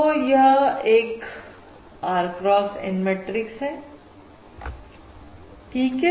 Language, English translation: Hindi, this is an R cross N matrix